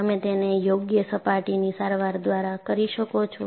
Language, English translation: Gujarati, You can do it by proper surface treatments